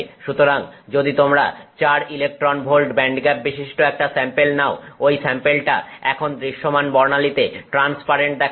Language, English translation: Bengali, Therefore if you take a sample with a band gap of four electron volts that sample is now going to be transparent to the visible spectrum